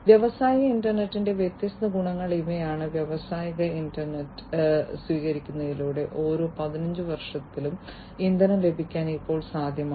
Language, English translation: Malayalam, So, these are the different advantages of the industrial internet, with the adoption of industrial internet, it is now possible to save on fuel in, you know, every 15 years